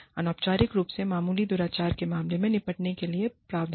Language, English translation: Hindi, Provisions for dealing, with instances of minor misconduct, informally